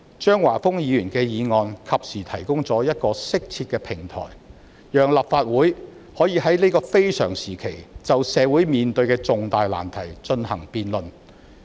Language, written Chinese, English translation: Cantonese, 張華峰議員的議案及時提供了一個適切的平台，讓立法會可以在這個非常時期就社會面對的重大難題進行辯論。, Mr Christopher CHEUNGs motion timely provides an appropriate platform for the Legislative Council to debate the great difficulties that society faces in such an extraordinary time